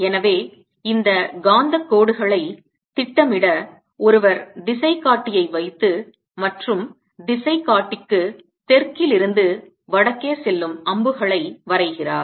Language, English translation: Tamil, so to plot these magnetic lines, one puts a compass and draws arrows going from south to north of the compass